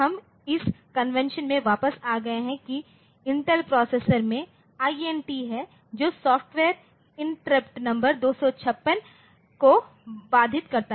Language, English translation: Hindi, So, we are back to the convention that the Intel processors have they have got so, INT the software interrupts number 256